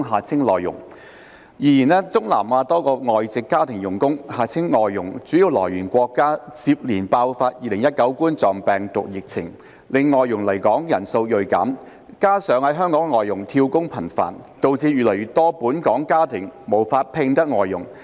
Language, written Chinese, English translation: Cantonese, 然而，東南亞多個外籍家庭傭工主要來源國家接連爆發2019冠狀病毒病疫情，令外傭來港人數銳減，加上在港外傭"跳工"頻繁，導致越來越多本港家庭無法聘得外傭。, However the successive outbreaks of the Coronavirus Disease 2019 epidemic in a number of major source countries for foreign domestic helpers FDHs in Southeast Asia have resulted in a drastic drop in the number of FDHs coming to Hong Kong . This situation coupled with the frequent job - hopping by FDHs currently in Hong Kong has rendered more and more families in Hong Kong unable to hire FDHs